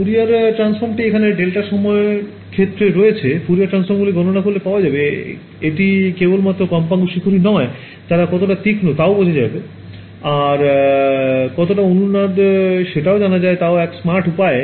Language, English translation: Bengali, Find out the Fourier transform I have the time domain in the delta calculate the Fourier transforms that is the much smarter way it will give me not just the frequency peaks, but also how resonate they are how sharp they are right